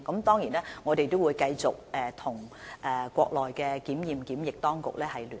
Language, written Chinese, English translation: Cantonese, 當然，我們仍會繼續與內地檢驗檢疫部門保持聯絡。, Of course we will maintain contact with the inspection and quarantine authorities of the Mainland